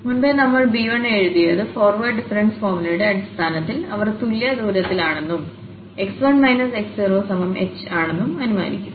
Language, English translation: Malayalam, And earlier we have written this b 1 in terms of the forward difference formula assuming that they are equidistant and this x 1 minus x naught was taken as h